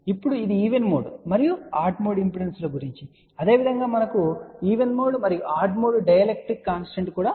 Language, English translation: Telugu, Now this is about even mode and odd mode impedances, similarly we have even mode and odd mode dielectric constant also